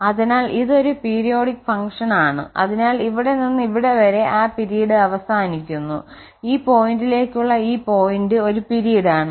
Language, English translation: Malayalam, So, it is a periodic function so from here to here that period ends this point to this point there is a period